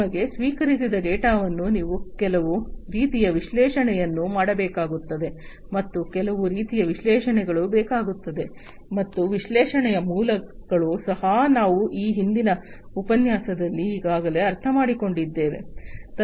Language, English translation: Kannada, And you need to run some kind of analytics to mind the data that is received to you need some kind of analytics, and basics of analytics also we have already understood in a previous lecture